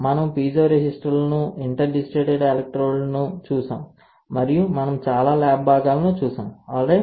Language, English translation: Telugu, We have seen piezo resistors, we have seen interdigitated electrodes and we have seen a lot of lab components, alright